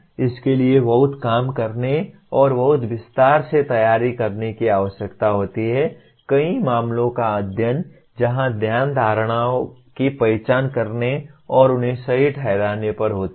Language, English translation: Hindi, But this requires a lot of work and preparing a very very detail, several case studies of that where the focus is on identifying assumptions and justifying them